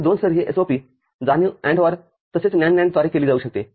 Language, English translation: Marathi, And 2 level SOP realization can be done through AND OR as well as NAND NAND